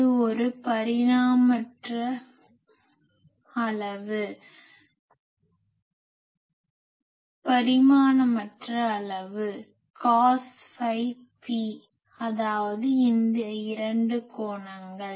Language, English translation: Tamil, This is also a dimensionless quantity cos phi p; so, that means, this 2 angles